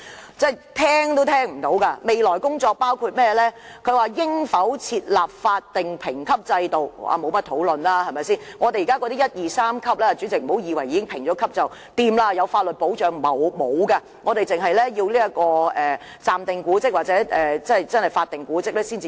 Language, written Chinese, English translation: Cantonese, 所謂的"未來工作"，包括應否設立法定評級制度，但這點不用討論，我們現時已設有一、二、三級的評估，但主席，不要以為獲得評級便有法律保障，其實是沒有的，只有暫定古蹟或法定古蹟才能獲得法律保障。, The proposed work included whether a statutory building grading system should be put in place but we need not discuss this here as the authorities have already put in place Grades 1 2 and 3 for assessment of historic buildings . However President a grading system does not necessarily guarantee statutory protection . There is none in fact as statutory protection is for proposed and statutory monuments only